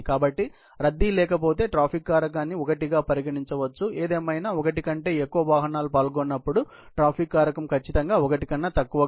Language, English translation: Telugu, So, if there is no congestion, the traffic factor can be considered to be 1; however, if when more than one vehicles are involved, the traffic factor would certainly be less than 1